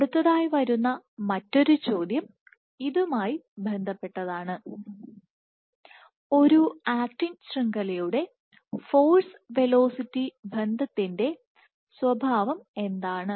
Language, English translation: Malayalam, The other question which comes is related to it is what is the nature of force velocity relationship for an actin network